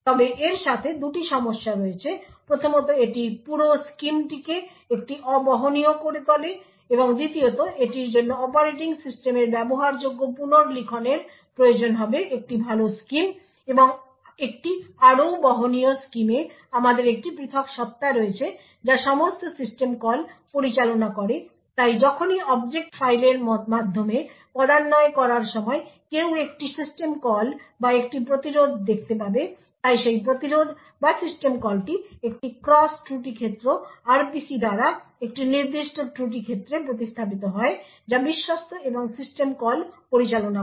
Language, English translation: Bengali, However there are two problems with this first it makes the entire scheme a non portable and secondly it would require consumable rewriting of the operating system a better scheme and a more portable scheme is where we have a separate entity which handles all system calls, so whenever while parsing through the object file one would see a system call or an interrupt, so this interrupt or system call is replaced by a cross fault domain RPC to a particular fault domain which is trusted and handle system calls